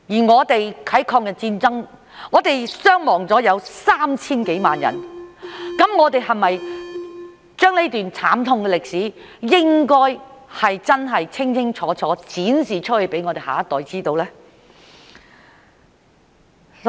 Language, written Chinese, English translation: Cantonese, 我們在抗日戰爭中有 3,000 多萬人傷亡，我們是否應該將這段慘痛歷史清清楚楚展示給我們下一代知道呢？, In the War of Resistance there were over 30 million casualties . Should we not present this tragic piece of history clearly to our next generation?